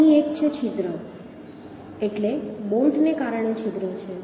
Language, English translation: Gujarati, So here one is: the hole means bolt hole, hole due to bolt